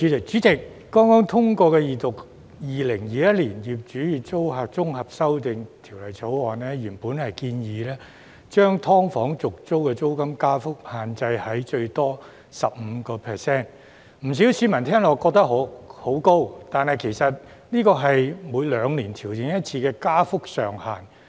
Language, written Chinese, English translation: Cantonese, 主席，剛剛通過二讀的《2021年業主與租客條例草案》，原本建議將"劏房"的續租租金加幅限制在最多 15%， 不少市民聽起來認為很高，但其實這是每兩年調整一次的加幅上限。, Chairman the Landlord and Tenant Amendment Bill 2021 the Bill the Second Reading of which has just been passed originally proposed to limit the rate of rent increase upon renewal of tenancy agreements of subdivided units SDUs to a maximum of 15 % which sounds very high to many members of the public but it is in fact the cap for rent adjustment every two years